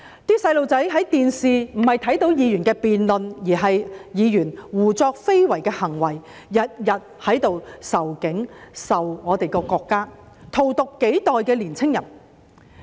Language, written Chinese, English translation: Cantonese, 那些小孩看電視時，看到的並不是議員的辯論，而是議員胡作非為的行為，每天在這裏仇警、仇恨我們的國家，荼毒香港幾代的年青人。, When children watched television what they saw was not the debates of the legislators but their unruly behaviour who spread hatred messages against the Police and our country day after day and poisoned the minds of the young people of Hong Kong for generations